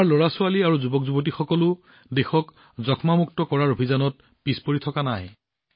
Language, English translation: Assamese, Our children and young friends are also not far behind in the campaign to make India TB free